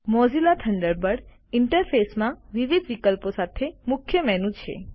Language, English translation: Gujarati, The Mozilla Thunderbird interface has a Main menu with various options